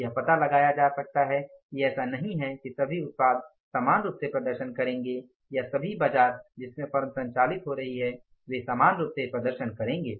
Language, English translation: Hindi, It may be found out that it is not the case that all the products will perform equally or all the markets in which the form is operating they will perform equally